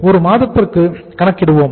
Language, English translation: Tamil, So we will be calculating for 1 month